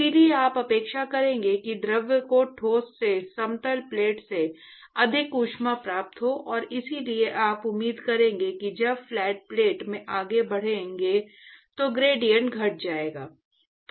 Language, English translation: Hindi, Therefore you would expect that the fluid would have gained more heat from the solid, from the flat plate; and therefore you would expect that the gradient will actually decrease when you increase the, when you go further into the flat plate